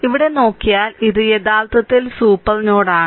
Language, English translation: Malayalam, So, if you look here this is actually super node, right